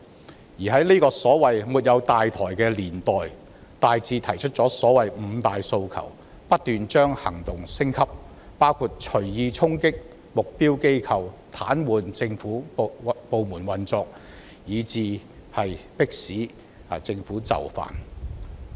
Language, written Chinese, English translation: Cantonese, 他們在這個所謂"沒有大台"的年代，大致提出了所謂"五大訴求"，並不斷把行動升級，包括隨意衝擊目標機構及癱瘓政府部門運作，以求迫使政府就範。, In this era of not having the so - called central leadership the protesters have put forward five demands . They have also kept escalating their actions including charging targeted institutions at will and paralysing the operation of government departments in a bid to force the Government to yield